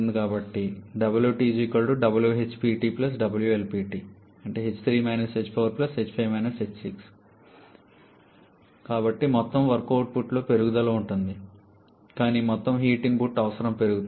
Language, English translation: Telugu, So, there will be an increase in the total work output but also there is increase in the total heat input requirement